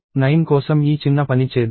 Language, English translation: Telugu, Let us do this little thing for 9